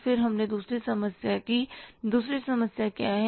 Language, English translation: Hindi, Then we did the second problem